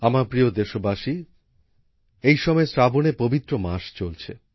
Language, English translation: Bengali, My dear countrymen, at present the holy month of 'Saawan' is going on